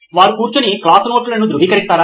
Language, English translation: Telugu, Do they sit and verify class notes